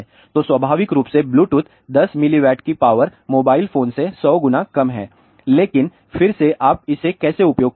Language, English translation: Hindi, So, naturally Bluetooth transmit a power of 10 milliwatt is 100 times less than the mobile phone, but again how you use it